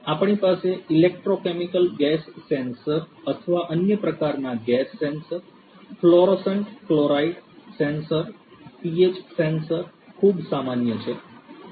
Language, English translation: Gujarati, We could have you know electrochemical electro chemical gas sensors or different other types of gas sensors also, fluorescent chloride sensors, fluorescent chloride sensors pH sensor is a very common one